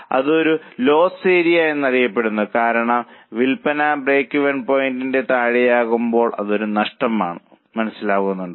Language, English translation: Malayalam, This is known as a loss area because when sales are below the break even point then it is a loss